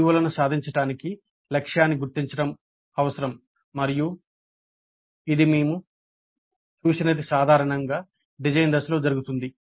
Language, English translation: Telugu, It is required to identify a target for the attainment of COs and this we have seen is done typically in the design phase